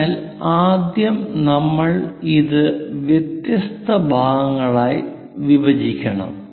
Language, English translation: Malayalam, So, as of now we will go ahead first divide this into different parts